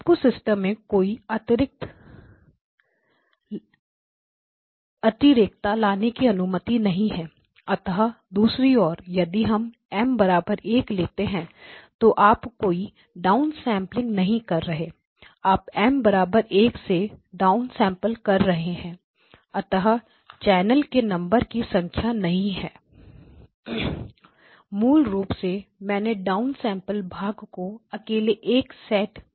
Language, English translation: Hindi, So, basically you have not allowed any additional redundancy to creep into the system, now on the other hand, if we had taken the case of M equal to 1, so basically you did not do any down sampling so your down sample by M equal to 1, so that it is not the number of channels, basically I just down sampling part alone has been set equal to 1